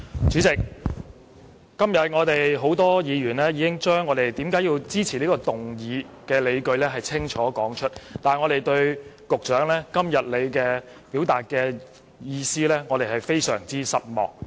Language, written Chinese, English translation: Cantonese, 主席，今天多位議員已清楚說出他們支持這項議案的理據，我們對局長今天表達的意見感到非常失望。, President a number of Members have clearly stated the reasons for supporting this motion today . We are very disappointed with the views expressed by the Secretary today